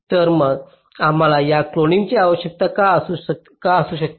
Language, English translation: Marathi, so why we may need this cloning